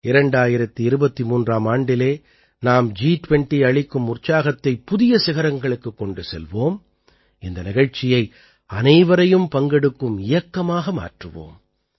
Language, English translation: Tamil, In the year 2023, we have to take the enthusiasm of G20 to new heights; make this event a mass movement